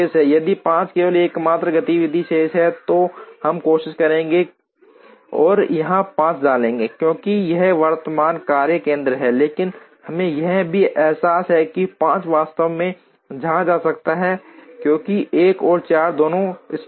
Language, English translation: Hindi, If 5 is the only activity remaining ordinarily we would try and put 5 here, because this is the current workstation, but we also realize that the 5 can actually go here, because both 1 and 4 are satisfied